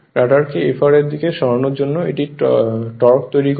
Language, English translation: Bengali, Creates the torque tending to move the rotor in the direction of Fr